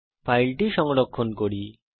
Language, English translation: Bengali, Let us save the file now